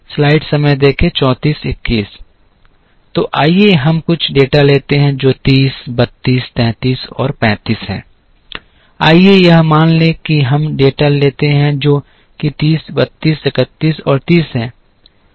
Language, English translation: Hindi, So, let us take some data which is 30, 32, 33 and 35, let say this is let us assume we take data which is 30, 32, 31 and 30